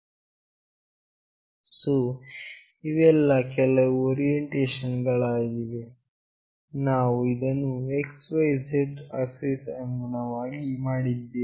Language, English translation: Kannada, So, these are the few orientation, which we have made with respect to x, y, z axis